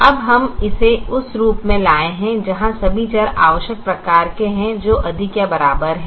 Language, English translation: Hindi, now we have brought it to the form where all the variables are of the required type, which is greater than or equal to type